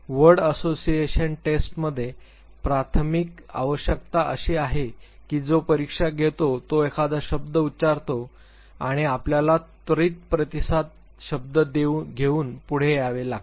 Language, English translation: Marathi, In word association test the primary requirement is that the person who conducts the test will pronounce a word and you have to immediately come forward with the response word